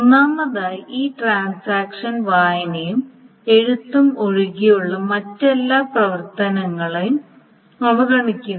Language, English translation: Malayalam, First of all, the transaction ignores every other operation other than read and write